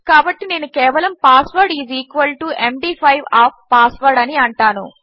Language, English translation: Telugu, So I will just say password is equal to md5 of password